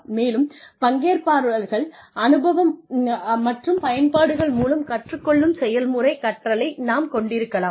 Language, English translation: Tamil, And, we can have action learning, where participants learn through, experience and applications